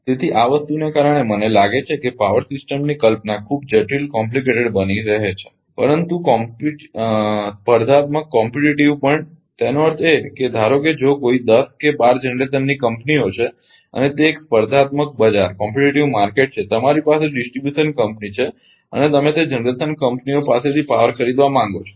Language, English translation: Gujarati, So, because of this thing I think power system concept is becoming very very complicated, but competitive also; that means, suppose suppose if suppose some 10 or twelve generation companies are there and it is a competitive market and you have a distribution company and you want to buy power from that generation companies